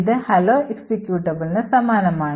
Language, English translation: Malayalam, So, the hello executable has a format like this